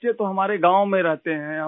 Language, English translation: Urdu, My children stay in the village